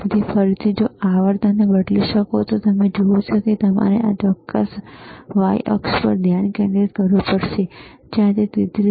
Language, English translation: Gujarati, So, again if you can change the say frequency, you see you have to concentrate on this particular the y axis, where it is showing 33